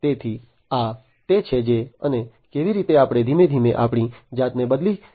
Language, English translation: Gujarati, So, this is what and how we are gradually you know transforming ourselves